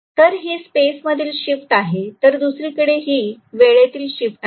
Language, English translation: Marathi, So this is space movement, whereas this is time shift right